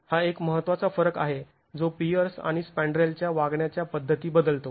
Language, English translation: Marathi, This is one important difference that changes the way the peer and the spandrel behave